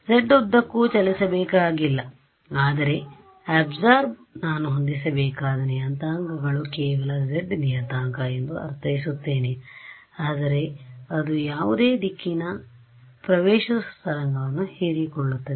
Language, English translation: Kannada, It need not be travelling along the z, but the absorption I mean the parameters that I have to set is only the z parameter, but it's absorbing any direction incident on it